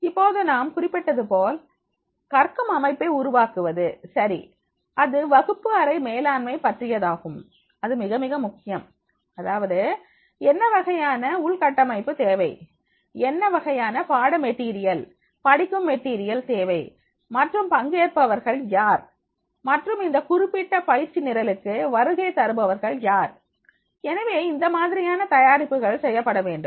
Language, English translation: Tamil, Now click as I mentioned creating a learning settings right that is about the classroom management is very very important that is how to manage the classroom and then then the preparation preparation is very very important that is the what type of the infrastructure is required what type of the course material study material is required and who will be the participants and who are visiting for this particular training program